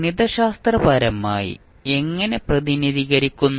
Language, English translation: Malayalam, Mathematically, how we represent